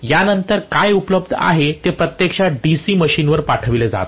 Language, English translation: Marathi, What is available after this is actually being said to the DC machine